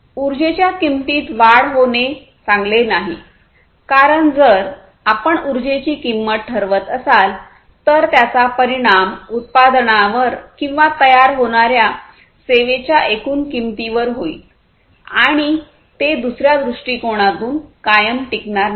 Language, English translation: Marathi, So, increasing the price of energy is not good because if you are increasing the price of energy then that will affect the overall price of the product or the service that is being created and that is not going to be sustainable over all from another perspective